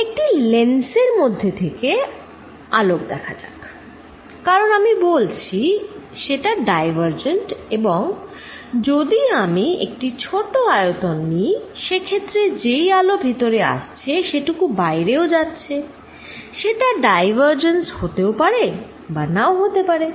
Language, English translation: Bengali, Let see light rays from a lens, because I say are diverging and if I take small volume here, in that case whatever light comes in is also going out, it maybe may not be diverging